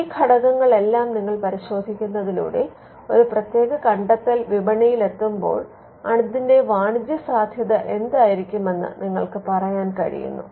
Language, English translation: Malayalam, Now, when you look at all these factors you will be able to say whether a particular invention when it hits the market what could be the commercial potential for that